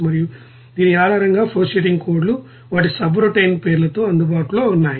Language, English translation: Telugu, And based on this there are you know flowsheeting codes are available with their subroutine’s names